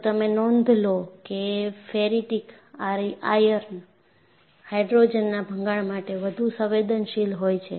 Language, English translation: Gujarati, And if you notice, ferritic ions are susceptible to hydrogen embrittlement